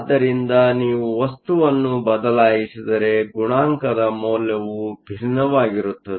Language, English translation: Kannada, So, if you change the material, the value of the coefficient will be different